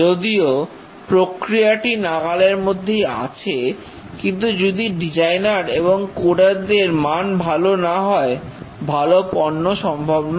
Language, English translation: Bengali, Even though the process is there, but then if the designers and coders are inherently not good, the product cannot be good